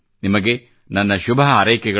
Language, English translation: Kannada, I extend many felicitations to you